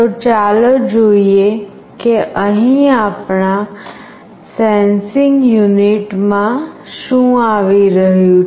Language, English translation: Gujarati, So, let us see what is coming here in our sensing unit